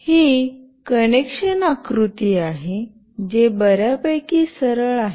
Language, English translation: Marathi, This is the connection diagram which is fairly straightforward